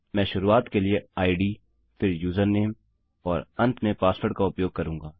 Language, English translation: Hindi, Ill use id for start, next user name and lastly password